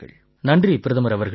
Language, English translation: Tamil, Thank you, Prime Minister ji